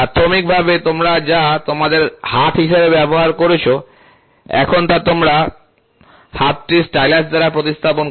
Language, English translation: Bengali, You initially what you used as your hand now, replace the hand by a stylus